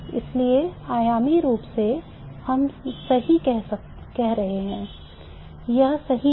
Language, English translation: Hindi, So, for dimensionally we are saying the right things